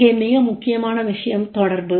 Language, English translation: Tamil, Most important point is here is the communication